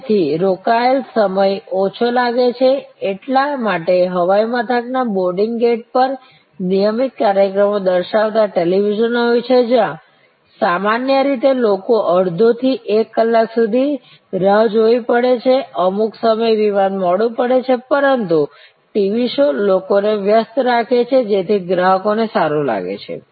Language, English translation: Gujarati, So, occupied time appears to be shorter; that is why there are televisions showing regular programs at boarding gate of airports, where typically people have to wait for half an hour to one hour, some time the flights may be delayed, but the TV shows keep people engaged, so that occupied customers feel better